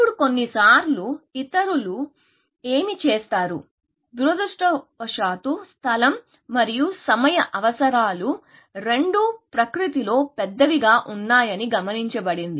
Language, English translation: Telugu, Now, sometimes what people do is now, unfortunately, both space and time requirements have been observed to be large in nature, essentially